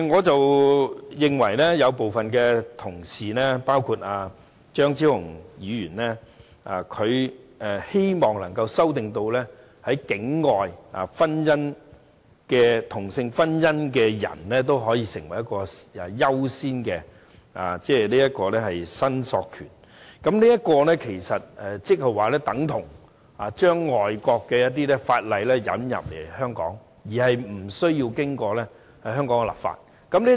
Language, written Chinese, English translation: Cantonese, 對於部分同事包括張超雄議員提出的修正案，旨在讓在境外註冊同性婚姻的人士也可擁有優先申索權，我認為這其實等同把外國法例引入香港而無須經過香港立法。, In my view the amendments proposed by some colleagues including Dr Fernando CHEUNG seeking to accord persons who have registered their same - sex marriages outside Hong Kong priority of claim for ashes is actually tantamount to introducing overseas legislation into Hong Kong without undergoing any local legislative exercise